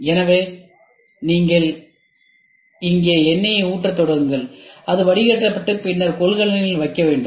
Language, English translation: Tamil, So, you just start pouring oil here and it gets filtered and then you put it in a container